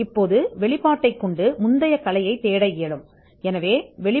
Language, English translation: Tamil, Now the disclosure can be used to search the prior art